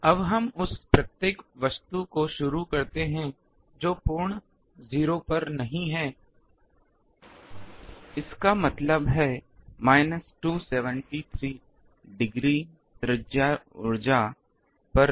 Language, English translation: Hindi, Now, we start that every object which is not at absolute 0; that means, not at minus 273 degree radius energy